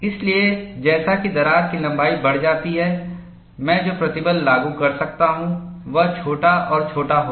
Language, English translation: Hindi, So, as the crack length increases the stress that I could apply would be smaller and smaller